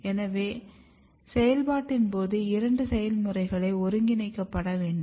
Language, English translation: Tamil, So, during the process; both the process has to be coordinating